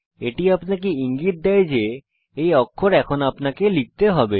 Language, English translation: Bengali, It indicates that it is the character that you have to type now